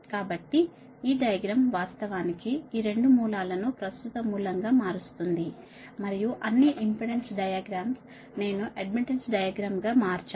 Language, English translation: Telugu, so this diagram, this one, actually transform this two sources, transform in to current source and all the impedance diagram i have been transform in to admittance diagram, right